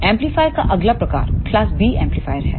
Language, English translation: Hindi, The next type of amplifier is class B amplifier